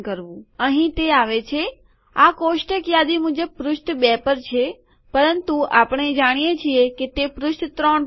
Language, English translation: Gujarati, Here it comes, the table according to this list is in page two but we know that it is in page 3